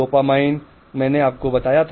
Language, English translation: Hindi, The dopamine I told you, you see these areas